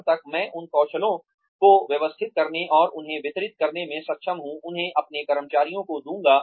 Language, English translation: Hindi, By the time, I am able to organize those skills, and deliver them, give them to my employees